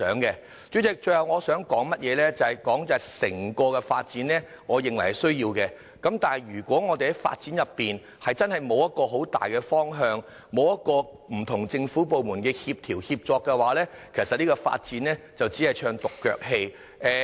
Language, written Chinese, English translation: Cantonese, 代理主席，我最後想說整個九龍東發展是有需要的，但如果我們的發展沒有很大的方向，沒有不同政府部門的協調和協作，這項發展只是唱獨腳戲。, Deputy President finally let me say that there is actually a need to develop East Kowloon . But if we do not have a clear and overall direction and if the various government departments do not work in coordination and make concerted efforts this development project will just be like a lone worker